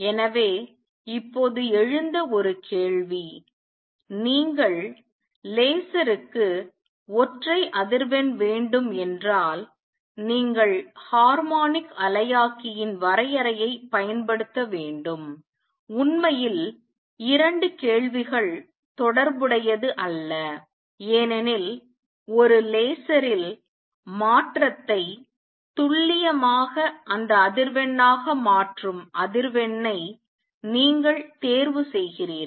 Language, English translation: Tamil, So, a question that has arisen just now is question; if you need single frequency for laser should you use harmonic oscillator confinement actually the 2 questions are not related because in a laser, you choose the frequency that causes the transition to be precisely that frequency